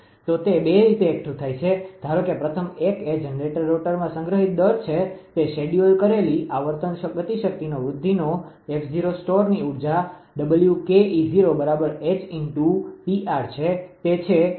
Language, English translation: Gujarati, So, that is accumulated in 2 ways suppose first 1 is rate of increase of stored kinetic energy in the generator rotor right, that that is the at at scheduled frequency f 0 the store energy is W Ke 0 is equal to h into P r that is that kinetic energy